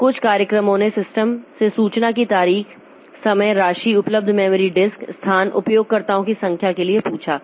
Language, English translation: Hindi, Then for status information, so some programs ask the system for information, date, time, amount, available memory, disk space, number of users